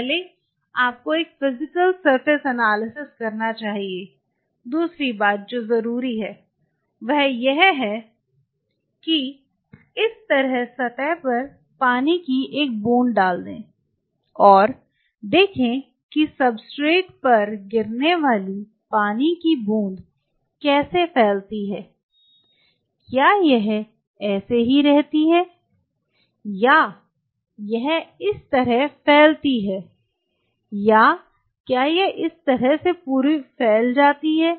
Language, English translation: Hindi, First you should do a Physical surface analysis; second thing what is essential is put a drop of water on this surface and see how the drop of water upon falling on the substrate kind of you know spread out does it remain like this or does it spread out like this or does it spread out like this